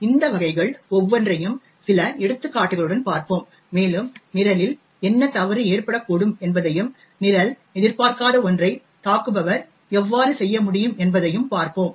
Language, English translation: Tamil, So, we will look at each of these cases with some examples and see what could go wrong in the program and how an attacker could be able to do something which is not expected of the program